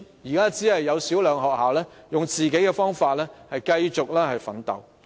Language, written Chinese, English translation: Cantonese, 現時只有少數學校以自己的方法繼續奮鬥。, At present only a small number of schools are trying to hold on by adopting their own approaches